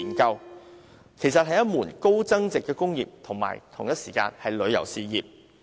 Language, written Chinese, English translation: Cantonese, 這其實是一門高增值的工業及旅遊事業。, That is actually a high value - added industry and tourism business